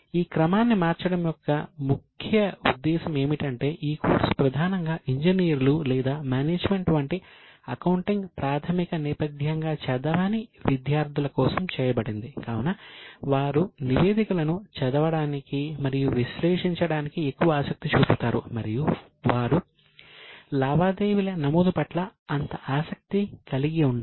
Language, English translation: Telugu, The main purpose of changing this sequence because this course is mainly for non accounting students like engineers or management students who are less interested in the recording they are more interested in reading and analyzing the statements